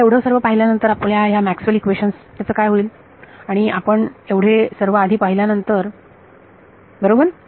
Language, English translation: Marathi, Now with this having been said what happens to our Maxwell’s equations in we have seen all of this before right